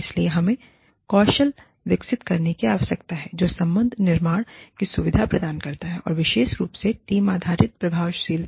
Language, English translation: Hindi, So, we need to develop skills, that facilitate relationship building, and specifically, team based effectiveness